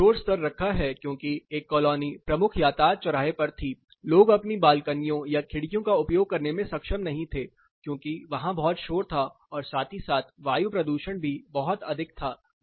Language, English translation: Hindi, Why I have put noise level is, one was in a major traffic intersection people were not able to use their balconies or windows because it was too noisy as well as air pollution was pretty high